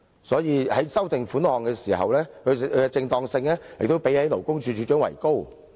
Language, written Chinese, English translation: Cantonese, 所以，在修訂款項的時候，其正當性亦比勞工處處長為高。, Thus it is more appropriate to empower the Legislative Council instead of the Commissioner for Labour to amend the amount of the further sum